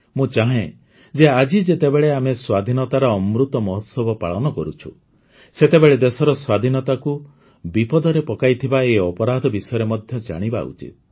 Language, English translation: Odia, I wish that, today, when we are celebrating the Azadi Ka Amrit Mahotsav we must also have a glance at such crimes which endanger the freedom of the country